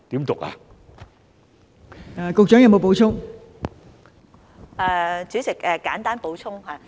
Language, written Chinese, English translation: Cantonese, 代理主席，我簡單補充。, Deputy President I will briefly add some information